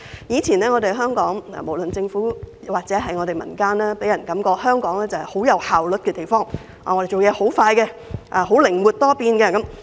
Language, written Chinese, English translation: Cantonese, 以前的香港，不論是政府或民間都予人極具效率的感覺，不但辦事快，而且靈活多變。, Hong Kong used to give people an impression that both the Government and people were highly efficient . Not only can they work expediently but also flexibly